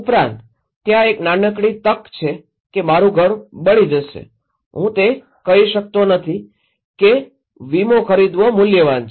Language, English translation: Gujarati, Also, there is a small chance my house will burn down, I cannot say buying insurance is worth it